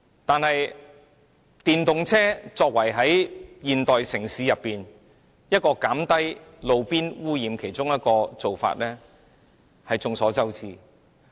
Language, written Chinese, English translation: Cantonese, 但眾所周知，電動車是現時減低路邊污染的其中一個方法。, But as we all know the switch to electric vehicles is one of the ways to reduce road - side pollution